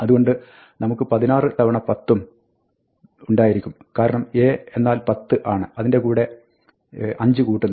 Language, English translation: Malayalam, So, we have 16 times 10, because the A is 10, plus 5